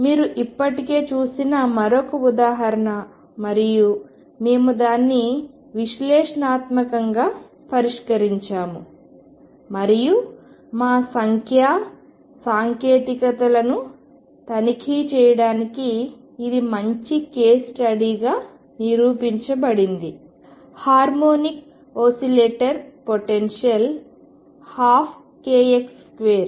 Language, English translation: Telugu, Another example that you have already seen and we have solved it analytically and it proved to be a good case study to check our numerical techniques is the harmonic oscillator potential one half k x square